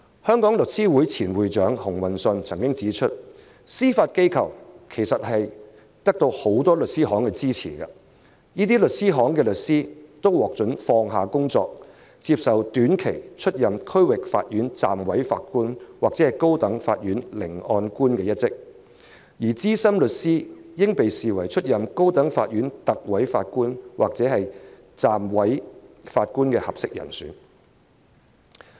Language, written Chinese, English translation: Cantonese, 香港律師會前會長熊運信曾指出，司法機構其實得到很多律師行支持，這些律師行的律師都獲准放下工作，接受短期出任區域法院暫委法官或高等法院聆案官一職，而資深律師應被視為出任高等法院特委法官或暫委法官的合適人選。, The former President of The Law Society of Hong Kong Mr Stephen HUNG has pointed out that the Judiciary has the support of many law firms . These law firms allow their lawyers to leave their work to take up the posts of Deputy District Court Judges or High Court Masters for a short period of time . Senior lawyers should be regarded as suitable candidates for Recorders or Deputy Judges of the High Court